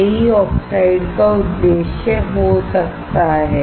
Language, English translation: Hindi, This is what the purpose of the oxide can be